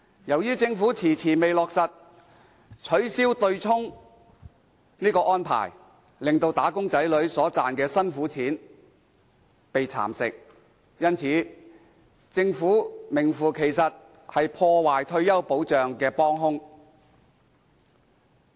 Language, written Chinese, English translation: Cantonese, 由於政府遲遲未落實取消對沖安排，令"打工仔女"所賺的"辛苦錢"被蠶食，因此，政府名副其實是破壞退休保障的"幫兇"。, Owing to the Governments delays in abolishing the offsetting arrangement the hard - earned money contributed by wage earners has been eroded . Therefore the Government is actually an accomplice weakening the retirement protection function